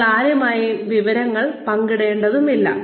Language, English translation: Malayalam, You do not have to share the information with anyone